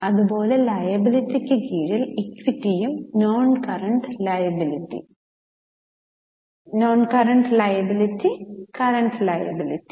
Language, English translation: Malayalam, Under liability we have got equity followed by non current liabilities and then by current liabilities